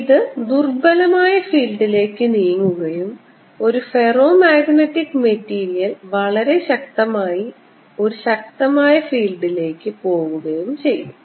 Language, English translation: Malayalam, a diamagnetic material will go away from strong field, it'll move towards weaker field and a ferromagnetic material, off course, will go very strongly towards a stronger field